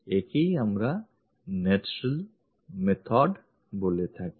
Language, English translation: Bengali, This is what we call natural method